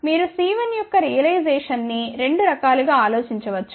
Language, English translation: Telugu, You can think realization of C 1 in two different ways